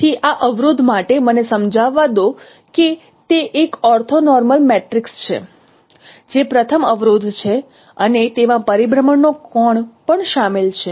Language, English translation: Gujarati, So this constraint let me explain that it is an orthonormal matrix that is a first constraint and there is a angle of rotation which is involved